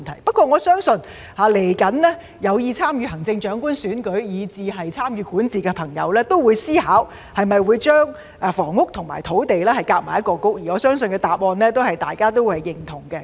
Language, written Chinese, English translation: Cantonese, 不過，我相信未來有意參與行政長官選舉以至參與管治的朋友也會思考會否把房屋和土地合併為一個局，而我相信大家的答案也是認同的。, However I believe that those interested in running for the Chief Executive election and participating in governance in the future will also consider whether housing and land should be combined into one bureau and I believe that Members answer is also positive